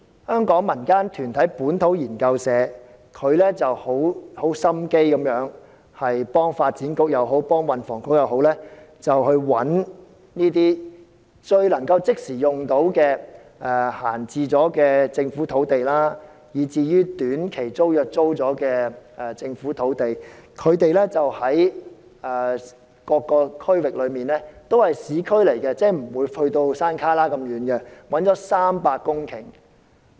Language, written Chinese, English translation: Cantonese, 香港一個民間團體本土研究社，用心為發展局或運輸及房屋局找出一些可以即時使用的閒置政府土地，以及一些以短期租約出租的政府土地，這些土地分布各區域，也位於市區範圍而非偏遠地區，他們共找到300公頃土地。, A community organization in Hong Kong the Liber Research Community has made dedicated efforts to identify vacant Government sites and government sites under short - term tenancy for the Development Bureau and the Transport and Housing Bureau . These sites scatter across the territory in different districts and are located in urban areas rather than remote areas . They have found 300 hectares of such land